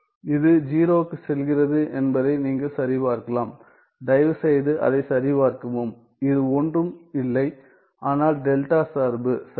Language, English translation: Tamil, You can check that this one goes to 0 please check that and this one is nothing, but the delta function right